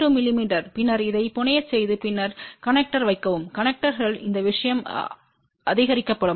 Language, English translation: Tamil, 2 mm and then get it fabricated and then put it on the connectors at the end connectors these thing will get supported